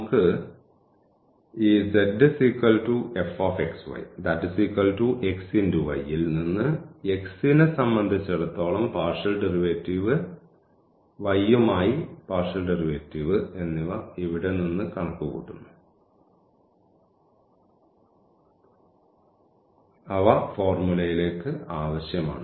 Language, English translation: Malayalam, So, that will be the projection here and we can get out of this z is equal to x y this partial derivative with respect to x, partial derivative with respect to y which are required in the formula for the computation here